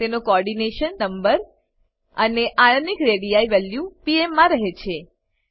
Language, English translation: Gujarati, * Its Coordination number and * Ionic radii value in pm